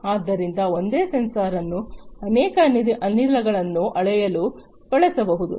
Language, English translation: Kannada, So, same sensor can be used to measure multiple gases for example